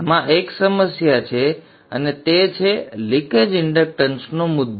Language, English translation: Gujarati, There is one problem in this and that is the issue of leakage inductance